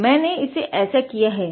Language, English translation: Hindi, So, I did it like that